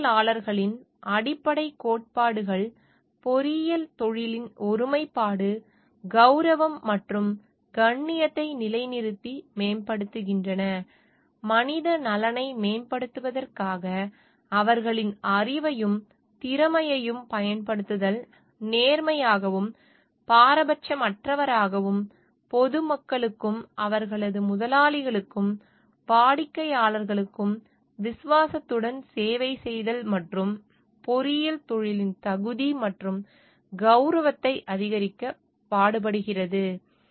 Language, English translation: Tamil, The fundamental principles engineers uphold and advanced the integrity, honour, and dignity of the engineering profession by; using their knowledge and skill for enhancement of human welfare; being honest and impartial, and serving with fidelity the public, their employers and clients; and striving to increase the competence and prestige of the engineering profession